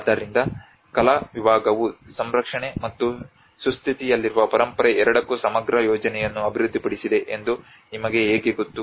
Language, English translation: Kannada, So how you know the arts department have developed a comprehensive plan for both the conservation and the living heritage